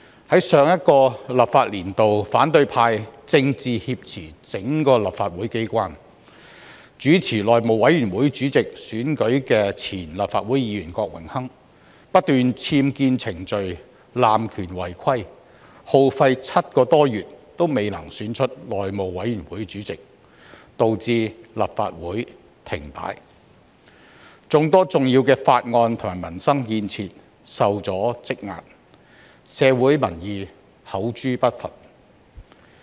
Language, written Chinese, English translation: Cantonese, 在上一個立法年度，反對派政治挾持整個立法會機關，主持內務委員會主席選舉的前議員郭榮鏗不斷僭建程序，濫權違規，耗費7個多月都未能選出內會主席，導致立法會停擺，眾多重要的法案及民生建設受阻積壓，社會民意口誅筆伐。, During the last legislative session the opposition camp hijacked the entire legislature politically . Mr Dennis KWOK a former Member who was tasked to host the election of the Chairman of House Committee kept on exploiting the procedures . Due to his abuse of power and violation of the rules the House Committee Chairman could still not be elected after seven - odd months leading to a standstill of the Legislative Council and the accumulation of many important bills and proposals pertaining to peoples livelihood and infrastructure